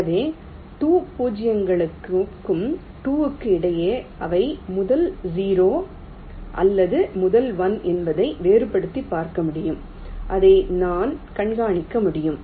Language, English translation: Tamil, so i can distinguish between the two zeros and two ones with respect to whether they are the first zero or the first one